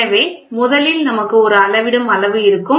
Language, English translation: Tamil, So, first we will have a measuring quantity